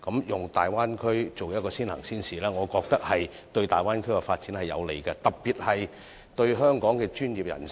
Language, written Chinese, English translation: Cantonese, 以大灣區作為試點，我認為有利港人在大灣區發展，特別是香港的專業人士。, Using the Bay Area as a test point in my view is conducive to the career development of Hongkongers especially Hong Kong professionals in the Bay Area